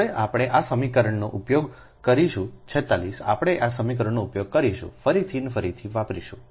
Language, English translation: Gujarati, now we will use this equation forty six, we will use this